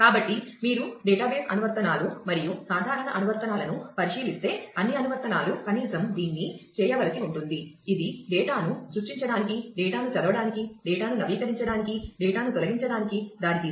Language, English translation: Telugu, So, if you look at database applications and common applications will all applications will at least need to do this it lead to create data, read data, update data, delete data